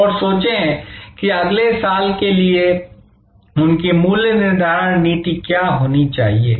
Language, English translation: Hindi, And think that, what should be their pricing policy for next year